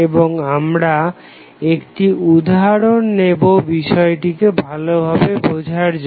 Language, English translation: Bengali, And we will also take 1 example to make the things clear